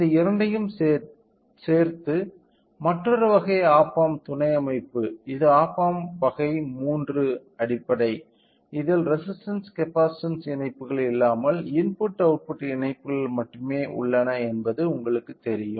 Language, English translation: Tamil, Along with this two, other type of op amp subsystem which is op amp type 3 basic, where it has only the connections of input output you know connections without any resistances and capacitances